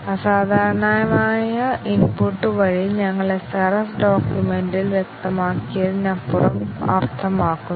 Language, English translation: Malayalam, By abnormal input, we mean beyond what is specified in the SRS document